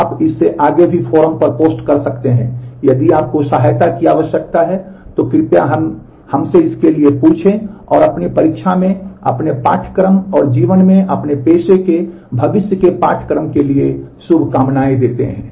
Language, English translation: Hindi, You can post in the forum beyond that also if you need help, please ask for it mail us and wish you all the very best with your course in your examination and the future course of your profession in life, all the very best